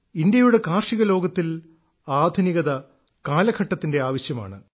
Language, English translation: Malayalam, Modernization in the field of Indian agriculture is the need of the hour